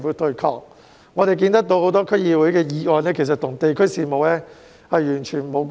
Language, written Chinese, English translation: Cantonese, 據我們所見，區議會有多項議案其實與地區事務完全無關。, As far as we can see many DC motions are actually irrelevant to district affairs at all